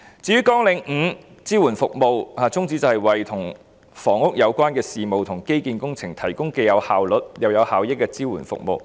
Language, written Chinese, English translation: Cantonese, 至於"綱領5支援服務"的宗旨是為與房屋有關的事務和基建工程提供既有效率又有效益的支援服務。, With respect to Programme 5 Support Services the aim is to provide efficient and effective support services for housing - related matters and infrastructure projects